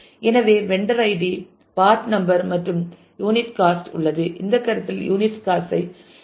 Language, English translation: Tamil, So, there is vendor id part number and unit cost forget about unit cost for this consideration